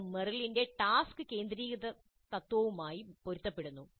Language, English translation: Malayalam, This corresponds to the task centered principle of Meryl